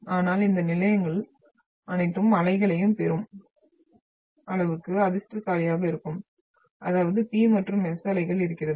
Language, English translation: Tamil, But these stations will have will be fortunate enough to receive all the waves, that is the P and S waves